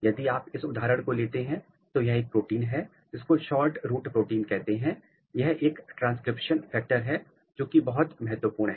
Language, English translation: Hindi, If you take this example this is a protein which is called SHORTROOT protein, it is a transcription factor very important transcription factor and if you look its expression pattern